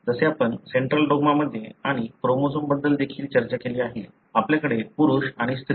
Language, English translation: Marathi, As we discussed in the central dogma and also about the chromosomes, we have male and female